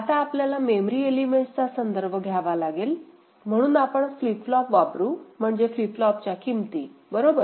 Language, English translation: Marathi, Now, we have to refer to it in terms of the memory elements, so we shall be using flip flops, so in terms of the flip flop values right